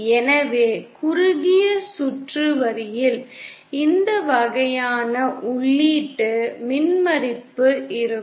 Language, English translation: Tamil, So short circuited line will have this kind of an input impedance